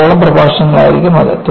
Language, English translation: Malayalam, And, that will be for about six lectures